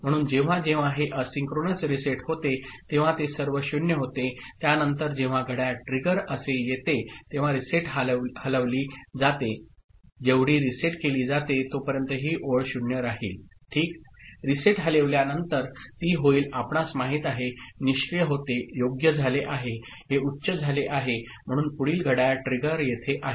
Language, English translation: Marathi, So, whenever this asynchronous reset occurs all of them become 0, after that when a clock trigger comes like this, the reset has moved so as long as it is reset this line will remain 0 ok, after the reset is moved so it is become you know, inactive right it has become high so next clock trigger is here